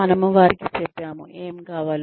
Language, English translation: Telugu, We have told them, what we want